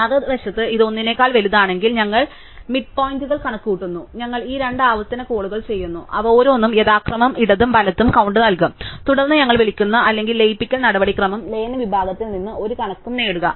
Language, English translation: Malayalam, On the other hand, if it is bigger than 1, then we compute the midpoint and we do these two recursive calls, each of them will return the count on the left and right respectively, then we call or merge procedure and get a count from the merge section